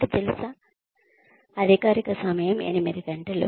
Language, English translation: Telugu, You know, the official timing is about eight hours